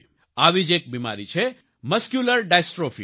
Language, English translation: Gujarati, One such disease is Muscular Dystrophy